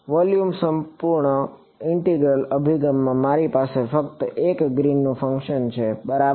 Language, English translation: Gujarati, In the volume integral approach I have just one Green’s function alright ok